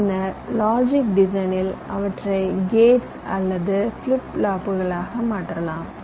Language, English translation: Tamil, then you go for logic design, where you would translate them into gates or flip flops